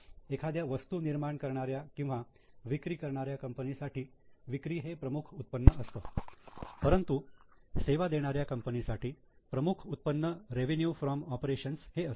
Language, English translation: Marathi, So, for a manufacturing or a selling company, the main income is sales, but for a service company the main income is revenue from operations